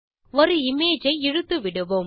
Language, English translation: Tamil, Let us drag and drop an image